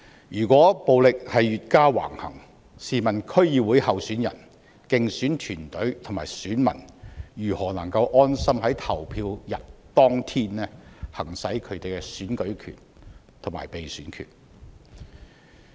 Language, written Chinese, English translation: Cantonese, 如果暴力越加橫行，試問區議會候選人、競選團隊及選民如何能夠安心在投票日行使他們的選舉權和被選權？, If the violence becomes even more rampant and brazen how can DC candidates electioneering teams and electors exercise the right to vote and the right to be elected on the polling day without any worries?